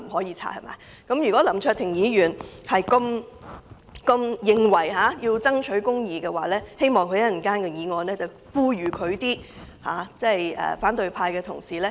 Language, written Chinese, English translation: Cantonese, 如果林卓廷議員認為要爭取公義，希望稍後他能夠呼籲反對派的同事不要阻止建議調查他的議案通過。, If Mr LAM Cheuk - ting thinks that it is right to fight for justice I hope that he can call on Members from the opposition camp not to prevent the passage of the motion which seeks to investigate him